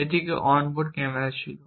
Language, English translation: Bengali, It had a on board camera and it was on 2 wheels